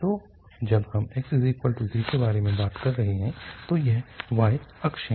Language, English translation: Hindi, So when we are talking about x equal to 0, so the y axis